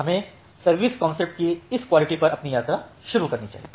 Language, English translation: Hindi, So, let us start our journey on this quality of service concept